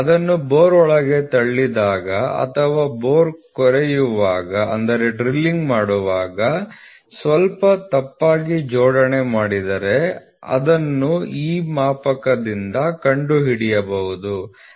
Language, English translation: Kannada, So, when it is pushed inside the bore or when they or the bore is drilled bit slight misalignment, then that can be found out by this gauge